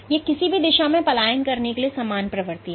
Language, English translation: Hindi, So, it has equal propensity to migrate in any direction